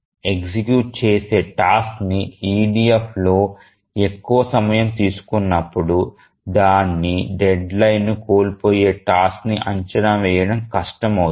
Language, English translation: Telugu, So, when an executing task takes more time in EDF, it becomes difficult to predict which task would miss its deadline